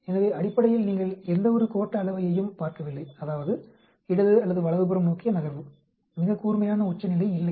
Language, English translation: Tamil, So basically, you do not see any skewness that means movement towards left or right, there is no sharp peak